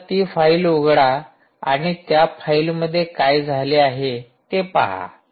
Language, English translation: Marathi, so lets open that file and see what exactly happens in that file